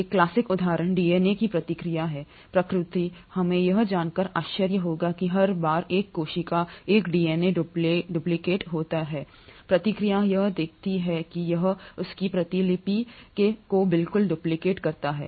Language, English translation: Hindi, A classic example is the process of DNA replication; we will be astonished to know that every time a cellÕs DNA duplicates, the process will see to it that it duplicates its copy exactly